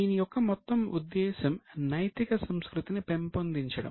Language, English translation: Telugu, So, the whole purpose was to nurture ethical culture